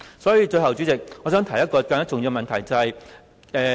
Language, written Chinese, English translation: Cantonese, 最後，代理主席，我想提出一個更重要的問題。, Deputy President before I stop I would like to point out a more important issue